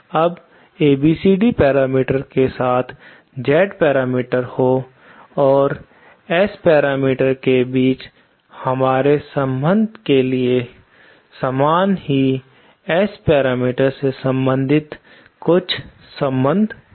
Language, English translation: Hindi, Now, there are some relations relating the S parameters to the ABCD parameters as well just like the relations we have between the Z parameters and the S parameters